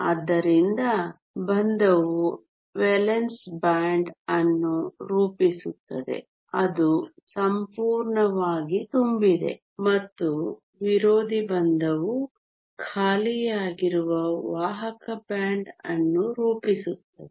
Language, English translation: Kannada, So, the bonding forms the valence band which is completely full and the anti bonding forms the conduction band that is empty